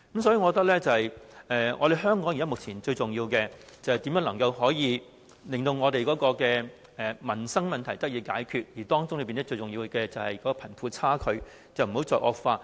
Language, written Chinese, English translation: Cantonese, 所以，我認為香港目前最重要的就是研究如何解決民生問題，當中最重要的就是不要讓貧富差距繼續惡化。, For that reason I think the most important thing for Hong Kong is to explore how we can address the livelihood issues first . The most important issue of all is to prevent the widening of the wealth gap